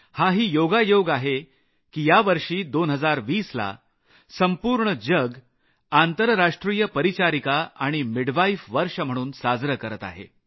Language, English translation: Marathi, It's a coincidence that the world is celebrating year 2020 as the International year of the Nurse and Midwife